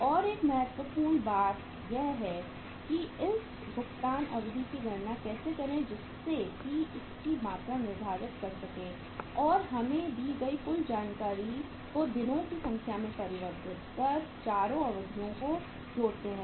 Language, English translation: Hindi, And how to calculate this payment deferral period that is also another important point to learn so that we can quantify it and we can convert the total information given to us into number of days and then we sum up the 4 uh periods